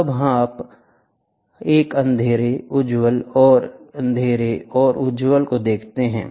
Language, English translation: Hindi, Then we see a dark, bright, dark, bright